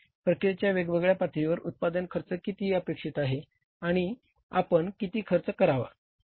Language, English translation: Marathi, What is the production cost at the different levels of the process is expected and what cost should we incur